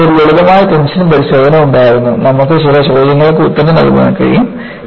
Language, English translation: Malayalam, You had one simple tension test; you are able to answer certain questions